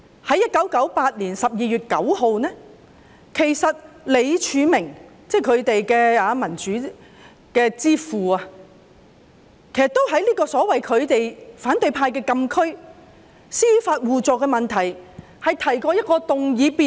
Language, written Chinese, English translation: Cantonese, 在1998年12月9日，他們的民主之父李柱銘也曾在反對派所謂的"禁區"，就是司法互助的問題上，提出一項議案辯論。, On 9 December 1998 their Father of Democracy Martin LEE proposed a motion debate on mutual legal assistance the forbidden zone claimed by the opposition camp